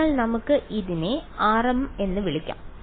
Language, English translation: Malayalam, So, we can call this as r m